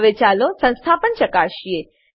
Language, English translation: Gujarati, Now let us verify the installation